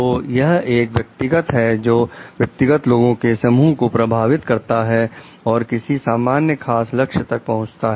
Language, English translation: Hindi, So, it is an individual who influences a group of individuals to reach a particular common goal